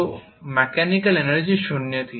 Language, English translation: Hindi, So the mechanical energy was zero